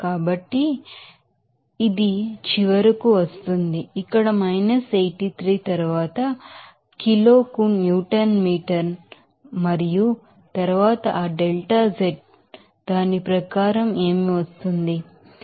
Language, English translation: Telugu, So, it will be coming finally, here 83 then Newton meter per kg and then what is that delta z accordingly to be coming as what is that